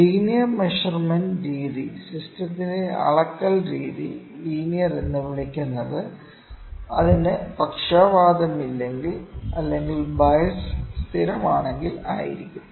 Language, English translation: Malayalam, Linear measurement method is the measurement method of system is called linear, if it has no bias or if it is bias is constant in the measurand